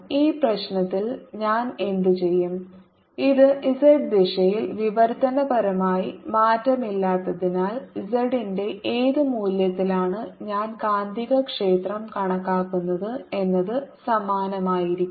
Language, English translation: Malayalam, what i'll do in this problem is, since this is translationally invariant in the z direction, no matter at what value of z i calculate, the magnetic field is going to be the same